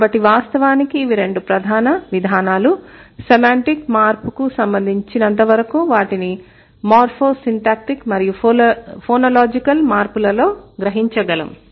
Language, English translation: Telugu, So, these two mechanisms, they, these are the two major mechanisms in fact as for a semantic change is concerned and they are realized in morphosynthactic and phonological change, morphosyntactic and phonological change